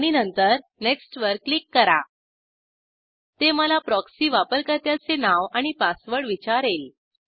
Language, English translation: Marathi, And then click on Next It will ask me the proxy username and password